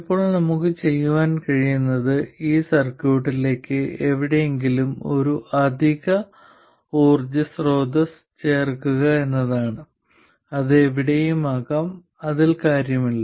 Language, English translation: Malayalam, Now what we can do is to add an additional source of power to this circuit somewhere, okay, it can be anywhere, it doesn't matter, the same arguments will apply